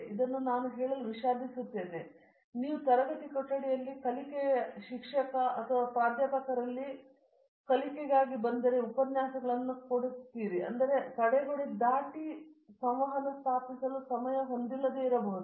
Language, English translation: Kannada, I am sorry to tell this, but it is a fact for example, if you our learning in class room, teacher or the professor will come and give lectures and he may not be having time to establish that crossed their barrier of that, it reached to a lecturer to the student